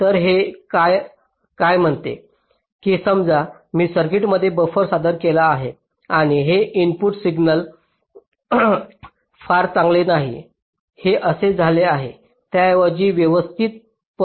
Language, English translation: Marathi, so what this says is that suppose i have introduced a buffer in a circuit and the input signal it is not very good, it has become like this